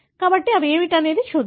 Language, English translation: Telugu, So, let us see what they are